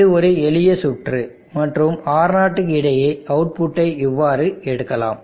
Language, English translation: Tamil, You see this is a simple circuit and you tend the output across R0 in this fashion